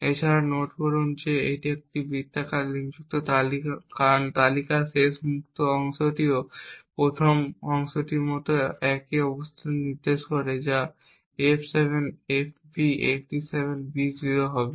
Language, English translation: Bengali, Also note that this is a circular linked list because the last freed chunk in the list also points to the same location as that of the first chunk that is f7fb87b0